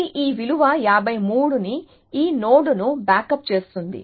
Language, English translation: Telugu, So, it backs up this value 53 to this node